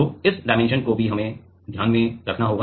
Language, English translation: Hindi, So, this dimension also we need to keep in mind